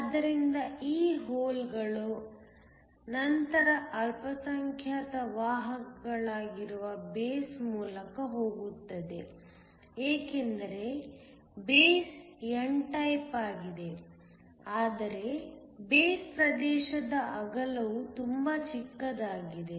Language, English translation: Kannada, So, These holes then go through the base where they are minority carriers because the base is n type, but the width of the base region is very small